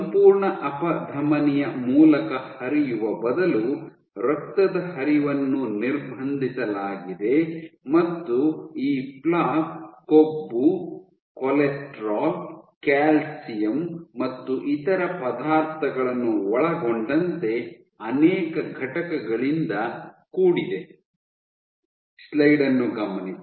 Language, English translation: Kannada, So, instead of flowing through the entire artery blood flow is restricted and this plaque is made up of multiple constituents including fat, cholesterol, calcium and other substances